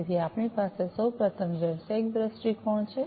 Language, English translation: Gujarati, So, we have at first we have the business viewpoint